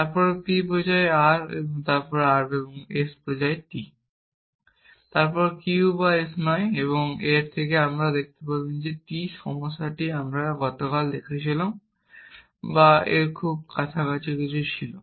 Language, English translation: Bengali, Then, p implies r, then r and s implies t, then not q or s and from this you have to show t that was the problem that we looked at last time or something very close to this